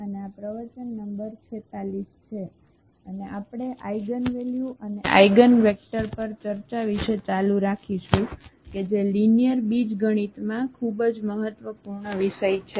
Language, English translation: Gujarati, So, welcome back this is lecture number 46 and today we will continue with Eigenvalues and Eigenvectors another very important topic in linear algebra